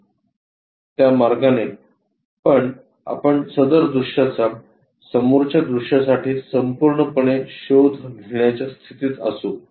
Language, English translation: Marathi, That way also we will be in a position to fully explore that view for the front